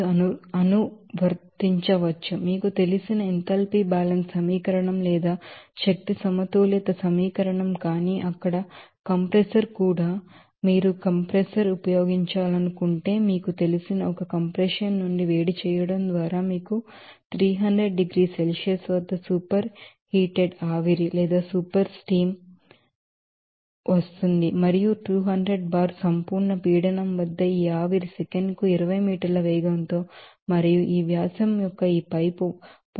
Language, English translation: Telugu, And then you can apply this you know enthalpy balance equation or energy balance equation, but the compressor also there also you will see that if suppose if you want to use a compressor you know by heating up certain you know steam that is super heated at 300 degrees Celsius and at 200 bar absolute pressure you will see that when this this steam interests this compressor at a velocity of 20 meter per second and to this pipe of diameter of